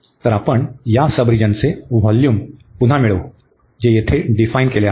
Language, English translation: Marathi, So, we will get again this volume of this sub region, which is define here